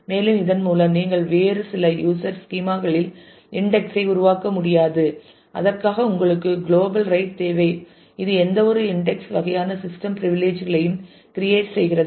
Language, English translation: Tamil, And, but with this you will not be able to create index in some other user schema for that you need a global right which is the create any index kind of system privilege